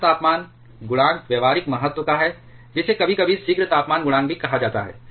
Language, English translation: Hindi, The fuel temperature coefficient is of practical importance that is also sometimes called the prompt temperature coefficient